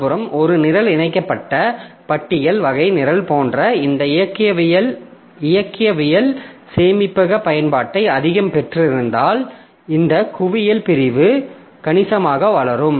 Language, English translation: Tamil, On the other hand, if a program has got more of this dynamic storage utilization, like link type of programs so they for them this hip segment will grow significantly